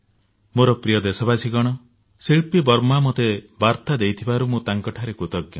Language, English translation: Odia, My dear countrymen, I have received a message from Shilpi Varma, to whom I am grateful